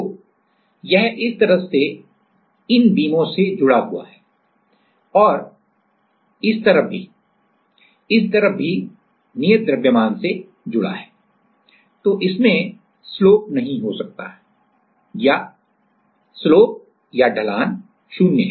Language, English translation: Hindi, So, one side it is connected it is like this one side is connected to these beam and these side also this side also it is as it is fixed to the proof mass it cannot have a slope there the slope is 0